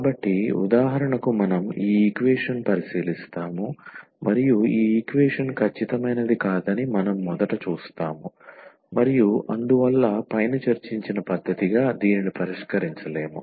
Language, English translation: Telugu, So, for instance we will consider this equation and we will first see that this equation is not exact and hence it cannot be solved as the method discussed above